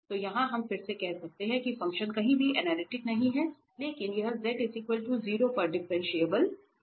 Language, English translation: Hindi, So, here we can again say that the function is nowhere analytic, but it is differentiable at z equal to 0